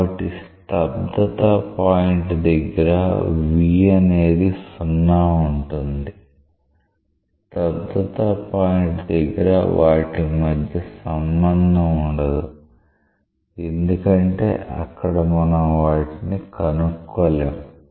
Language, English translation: Telugu, So, stagnation point is a point where v is 0 and at the stagnation point, you do not have such a relationship because at a stagnation point you cannot really work out these